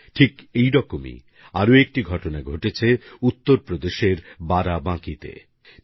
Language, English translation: Bengali, A similar story comes across from Barabanki in Uttar Pradesh